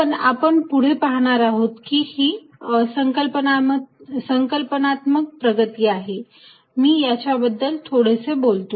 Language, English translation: Marathi, But, we will see later that this is a conceptual advance, let me just talk a bit about it